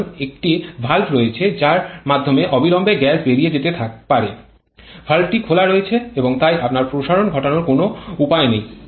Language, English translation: Bengali, Expansion work will stop because there is one valve through which the gas can immediately go out the valve is open and so there is no way you can get expansion work